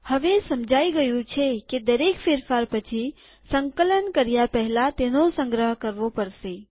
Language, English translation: Gujarati, It is to be understood, that after every change we need to save before compilation